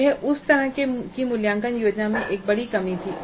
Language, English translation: Hindi, This was one of the major drawbacks in that kind of a assessment scheme